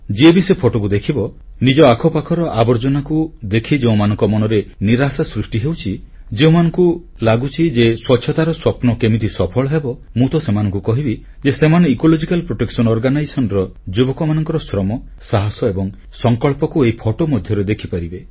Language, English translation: Odia, I was overwhelmed on seeing these and whoever will see these photographs, no matter how upset he is on witnessing the filth around him, and wondering how the mission of cleanliness will be fulfilled then I have to tell such people that you can see for yourself the toil, resolve and determination of the members of the Ecological Protection Organization, in these living pictures